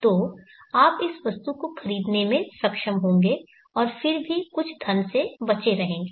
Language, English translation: Hindi, So you will be able to purchase this item and still be leftover with some money